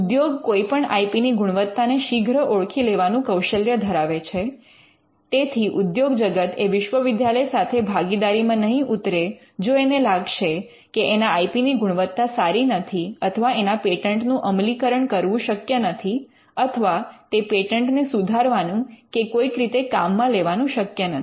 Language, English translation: Gujarati, Industry is known for it is ability to quickly analyze the quality of an IP and the industry may not partner with a university if the quality of IP is one bad or if the industry feels that these are patents that cannot be enforced or if the industry feels that there is a way to work around these patents